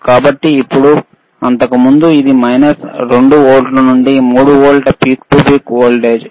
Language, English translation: Telugu, So now, the instead of earlier it was minus 2 volts to 3 volts peak to peak voltage